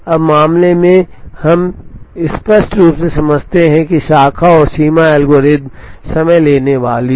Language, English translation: Hindi, Now, in case, obviously we understand that the Branch and Bounds algorithm is time consuming